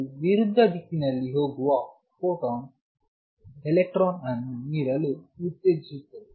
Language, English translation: Kannada, It can stimulate this electron to give out the photon going the opposite direction